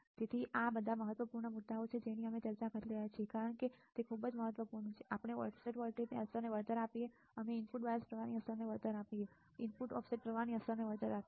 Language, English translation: Gujarati, So, these are all the important points that we are discussing because it is very important that we compensate the effect of offset voltage, we compensate the effect of input bias current, we compensate the effect of input offset current